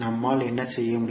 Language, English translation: Tamil, What we can do